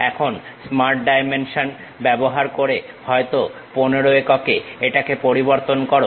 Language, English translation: Bengali, Now, use Smart Dimensions maybe change it to 15 units